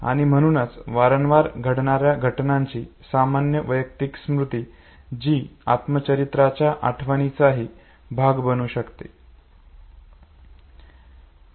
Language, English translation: Marathi, And therefore the generic personal memory of the repeated events that can also become a part of the autobiographical memory